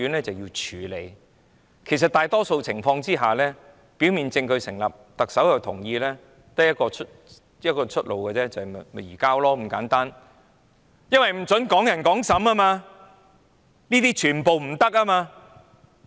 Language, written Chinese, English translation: Cantonese, 關於逃犯的問題，在大多數情況下，如果表面證據成立，特首亦同意，便只有一個出路，就是移交，因為不准"港人港審"，這是不准進行的。, In respect of the issue concerning fugitive offenders in most circumstances if a prima facie case is established and with the consent of the Chief Executive the only way out is to surrender the fugitive offender because a fugitive offender from Hong Kong is not allowed to be tried in Hong Kong